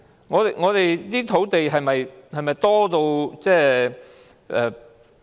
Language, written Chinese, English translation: Cantonese, 我們的土地是否太多？, Do we have too much land?